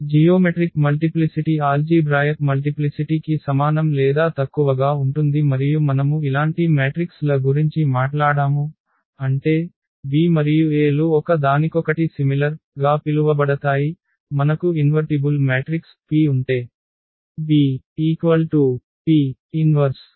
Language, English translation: Telugu, And always this is the case that geometric multiplicity is less than equal to the algebraic multiplicity and we have also talked about the similar matrices; that means, B and A are called the similar to each other they are the similar matrices, if we have this relation that B is equal to P inverse AP for some invertible matrix P